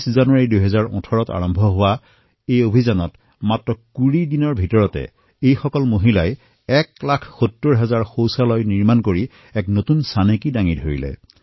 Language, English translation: Assamese, Under the auspices of this campaign starting from January 26, 2018, these women constructed 1 lakh 70 thousand toilets in just 20 days and made a record of sorts